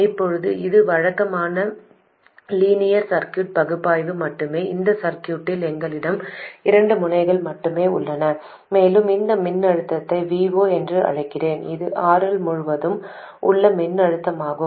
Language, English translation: Tamil, Now this is just regular linear circuit analysis and we have only two nodes in the circuit and let me call this voltage VO, that is the voltage across RL